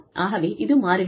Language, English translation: Tamil, So, it changes